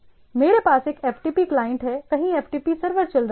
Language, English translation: Hindi, So, I have FTP client somewhere FTP server is running